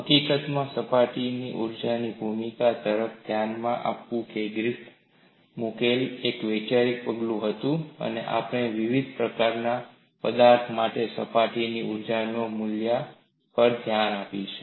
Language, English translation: Gujarati, In fact, looking at the role of surface energy was a conceptual step put forward by Griffith and we will look at the values of surface energies for a variety of material